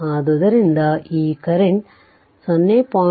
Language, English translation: Kannada, So, here 0